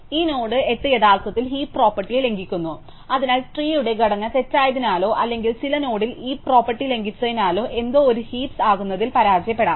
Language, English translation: Malayalam, So, this node 8 actually violates the heap property, so something can fail to be a heap, either because the tree structure is wrong or because at some node the heap property is violated